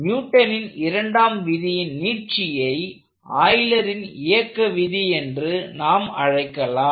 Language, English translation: Tamil, So, the center of So, the extension we can make of the Newton second law is what we will call Euler's laws of motion